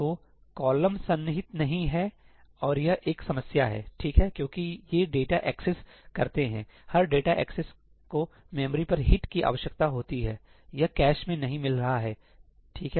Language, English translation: Hindi, So, the column is not contiguous and that is a problem, right, because these data accesses, every data access is going to require a hit to the memory, it is not going to find it in the cache, right